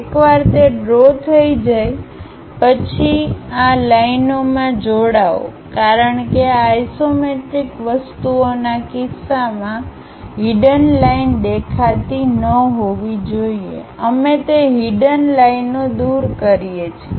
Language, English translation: Gujarati, Once that is done draw join these lines because hidden line should not be visible in the case of isometric things, we remove those hidden lines